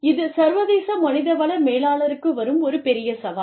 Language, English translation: Tamil, That is one big challenge, of the international human resource manager